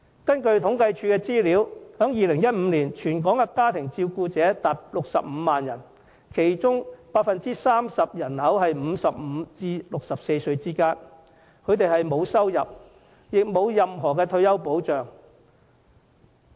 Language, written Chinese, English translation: Cantonese, 根據政府統計處的資料，在2015年，全港家庭照顧者達65萬人，其中 30% 介乎55歲至64歲之間；他們沒有收入，也沒有任何退休保障。, They are family carers meaning most of the housewives . According to the figures of the Census and Statistics Department there were 650 000 family carers in Hong Kong in 2015 30 % of whom being aged between 55 and 64 with neither income nor any form of retirement protection